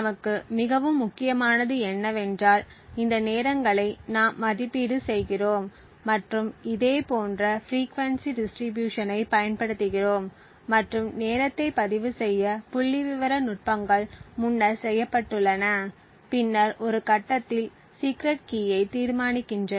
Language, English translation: Tamil, More important for us is that we evaluate these timings and use a similar frequency distribution and statistical techniques has been done previously to record the timing and then at a later point determine the secret key